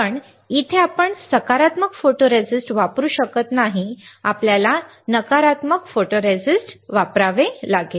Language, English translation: Marathi, So, here we cannot use positive photoresist, we can use, we have to use negative photoresist